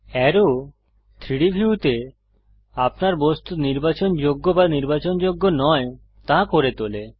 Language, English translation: Bengali, Arrow makes your object selectable or unselectable in the 3D view